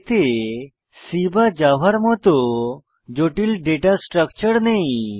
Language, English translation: Bengali, It does not have complex data structures like in C or JAVA